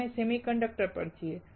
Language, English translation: Gujarati, We are on the semiconductors